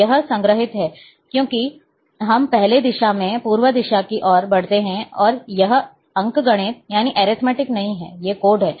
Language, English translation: Hindi, So, this is, this is stored as that first we move, toward the east direction, and this is not arithmetic, these are the codes